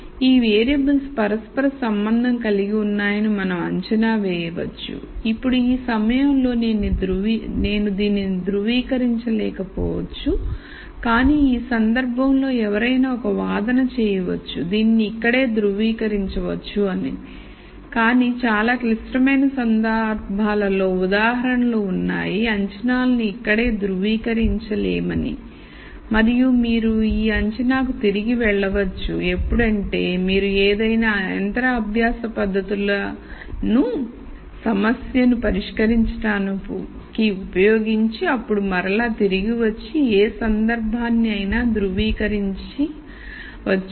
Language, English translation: Telugu, So, we could make the assumption that these variables are interrelated, now at this point just at this point I might not be able to verify this though in this case one could strictly make an argument that that you could verify it here itself, but in more complicated cases there are examples where the assumptions cannot be validated right at this point and you go back to this assumption only after you have used some machine learning technique to solve the problem and then come back and validate any case let us say we cannot validate this assumption a priori